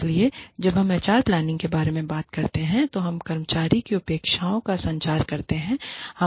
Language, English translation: Hindi, So, when we talk about HR planning, we communicate the expectations, to the employee